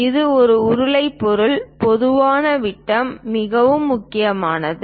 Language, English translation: Tamil, It is a cylindrical object, usually the diameters matters a lot